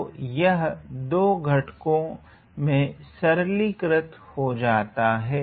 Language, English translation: Hindi, So, this all simplifies into these 2 factors here ok